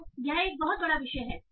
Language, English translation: Hindi, So it is a huge topic